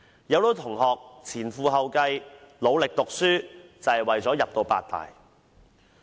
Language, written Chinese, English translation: Cantonese, 很多同學前赴後繼，努力讀書，便是為了入讀八大。, Many students study very hard just to get a place in the eight major universities